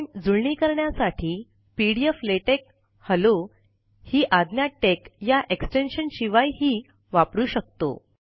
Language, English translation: Marathi, We can also use the command pdf latex hello, without the extension tex to compile this